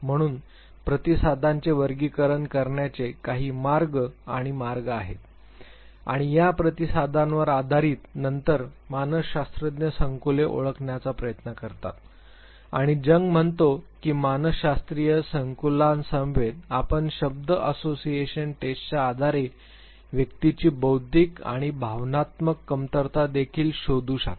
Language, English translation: Marathi, So, there are ways and means of classifying the responses and based on these responses then the psychologist tries to identify the complexes and Jung says that along with psychological complexes you can find out the intellectual and the emotional deficiency of the individual based on word association test